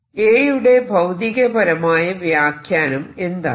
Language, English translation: Malayalam, what about physical interpretation of a